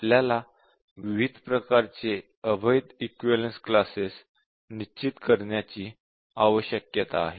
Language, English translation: Marathi, We need to really define different types of invalid equivalence classes